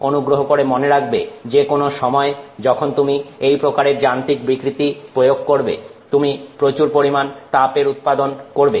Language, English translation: Bengali, Please remember that any time you do you know deformation of this nature, you will generate a lot of heat